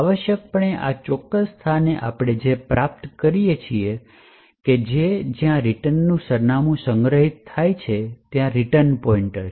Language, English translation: Gujarati, So, essentially at this particular point what we obtain is that return points to where the return address is stored